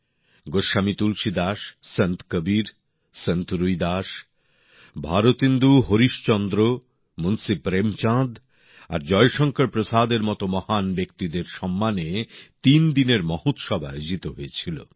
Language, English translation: Bengali, A threeday Festival was organized in honour of illustrious luminaries such as Goswami Tulsidas, Sant Kabir, Sant Ravidas, Bharatendu Harishchandra, Munshi Premchand and Jaishankar Prasad